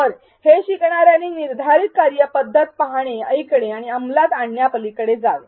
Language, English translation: Marathi, So, that learners go beyond watching and listening and executing prescribed procedures